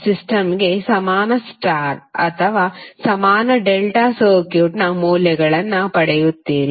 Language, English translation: Kannada, And you will get the values of equivalent star or equivalent delta circuit for the system